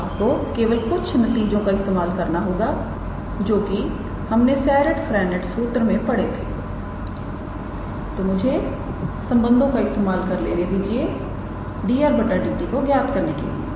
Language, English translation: Hindi, So, all you have to do is just use some results what we have studied in Serret Frenet formula use the appropriate relations to calculate dr dt